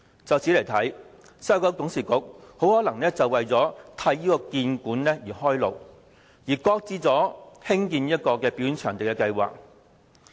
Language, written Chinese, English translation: Cantonese, 由此可見，西九管理局董事局很可能是為了替興建故宮館開路，而擱置興建表演場地的計劃。, Thus WKCDA shelved the proposal on building a mega performance venue probably to make way for building HKPM